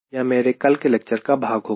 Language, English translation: Hindi, ok, that will be my next part of my lecture tomorrow